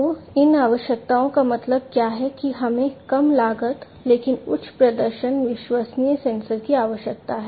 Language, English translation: Hindi, So, what is meant by these requirement is that we need to have low cost, but higher performing reliable sensors